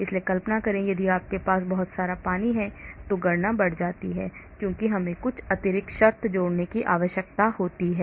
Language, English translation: Hindi, so imagine if you have lot of water present, the calculations increase because we need to add some extra terms